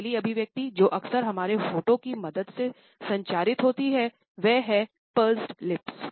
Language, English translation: Hindi, The first expression which is often communicated with the help of our lips is that of Pursed Lips